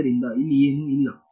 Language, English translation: Kannada, So, there is nothing over here